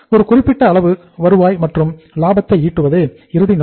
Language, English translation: Tamil, Ultimate objective is to earn a given amount of the revenue and the profits